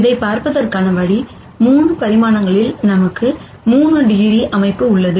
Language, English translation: Tamil, The way to see this is in 3 dimensions we have 3 degrees of freedom